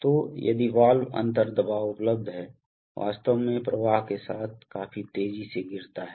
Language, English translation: Hindi, So, if valve differential pressure available, actually falls quite sharply with the flow